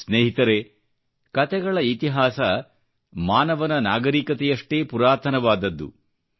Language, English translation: Kannada, Friends, the history of stories is as ancient as the human civilization itself